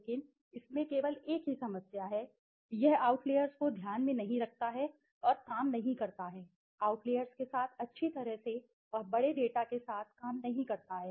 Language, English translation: Hindi, But it has only one problem that it does not take into account outliers and does not work well with the outliers, and does not work with the large data